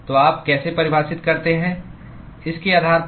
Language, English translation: Hindi, So, depending on how you define